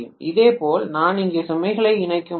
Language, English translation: Tamil, And similarly, I would be able to connect the load here